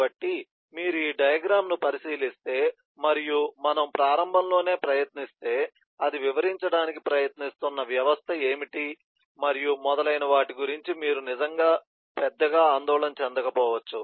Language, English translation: Telugu, so if you look into this diagram and try to initially we you, you may not be really concerned about what is the system that it is trying to describe and so on